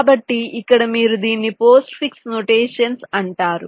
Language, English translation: Telugu, this is actually called postfix notation